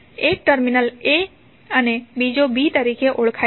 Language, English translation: Gujarati, One terminal is given as a, another as b